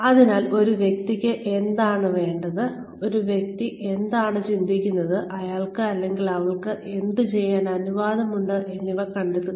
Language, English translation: Malayalam, So, find out, what the person wants, and what the person thinks about, what he or she is permitted to doing, or permitted to do